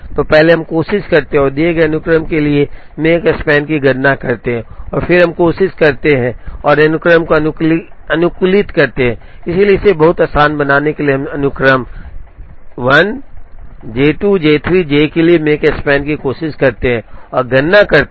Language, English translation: Hindi, So, first let us try and compute the Makespan for a given sequence and then we try and optimize the sequence, so to make it very easy, we try and compute the Makespan, for the sequence J 1, J 2, J 3, J 4 and J 5